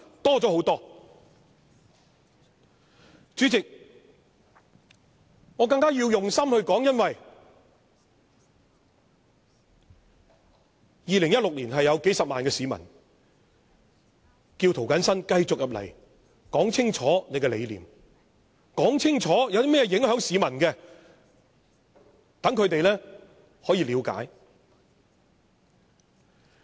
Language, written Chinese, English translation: Cantonese, 代理主席，我要更加用心發言，因為在2016年，是有數十萬名市民叫我要繼續在立法會清楚說出我的理念，而但凡有何影響市民的事情時，更要說清楚，讓他們得以了解。, Deputy President I have to deliver my speech seriously because in 2016 several hundred thousand people voted me to the Legislative Council and asked me to continue to clearly speak out my beliefs . It is incumbent upon me to explain any policies which will affect Hong Kong people and let them know their situations